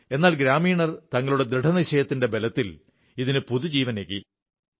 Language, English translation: Malayalam, But the villagers, through the power of their collective resolve pumped life into it